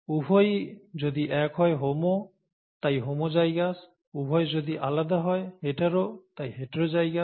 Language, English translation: Bengali, If both are the same, homo, so homozygous, if both are different, hetero, so heterozygous